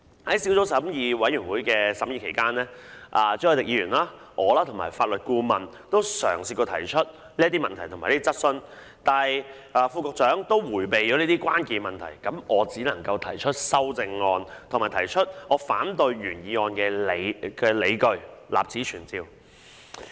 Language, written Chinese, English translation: Cantonese, "在小組委員會審議期間，朱凱廸議員、我和法律顧問都嘗試過提出這些問題及質詢，但副局長迴避了這些關鍵的問題，所以我只能提出修訂議案及反對原議案的理據，立此存照。, Mr CHU Hoi - dick the Legal Adviser and I tried to raise these questions during the scrutiny by the Subcommittee but the Under Secretary evaded these key issues . Hence I can only propose amending motions and explain on what grounds I oppose the original motion for the record